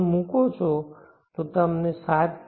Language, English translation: Gujarati, 1 you will get 7